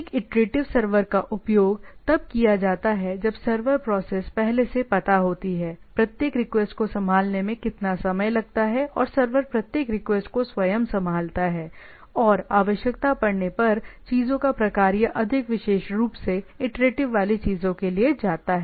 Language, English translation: Hindi, So, iterative server used when the server process knows in advance, how long it takes to handle each request and handle each request itself and type of things or more specifically when there is a requirement, which goes for an iterative things